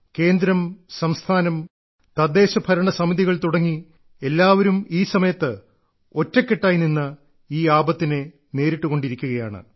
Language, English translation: Malayalam, The Centre, State governments and local administration have come together to face this calamity